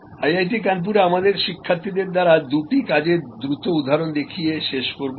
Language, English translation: Bengali, I will conclude by showing to quick examples of the work done by our students at IIT Kanpur